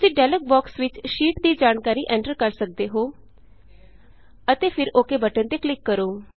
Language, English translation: Punjabi, You can enter the sheet details in the dialog box and then click on the OK button